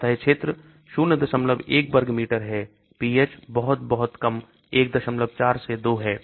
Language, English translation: Hindi, 1 meter square, pH is very, very low 1